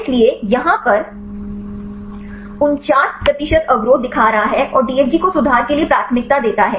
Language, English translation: Hindi, So, here this is showing 49 percent inhibition and prefers DFG out conformation